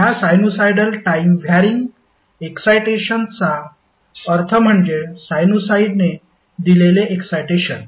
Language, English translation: Marathi, So, the sinusoidal time wearing excitations means that is excitation given by a sinusoid